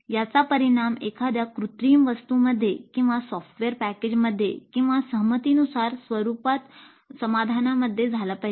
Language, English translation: Marathi, It must result in an artifact or in a software package or in a solution in agreed upon format